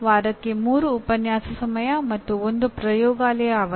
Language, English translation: Kannada, That is 3 lecture hours and 1 laboratory session per week